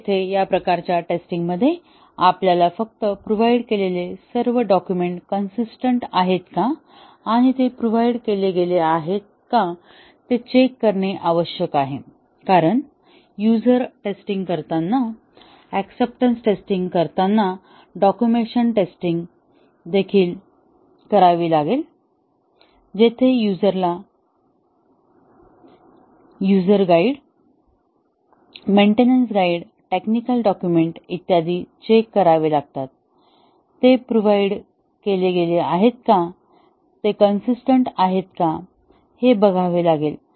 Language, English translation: Marathi, So, here in this type of test we just need to check whether all the provided documents are consistent and they have been provided; because the user when doing testing, acceptance testing, will also have to do the documentation test, where the user need to check whether the user guides, maintenance guides, technical documents, etcetera, they have been provided are consistent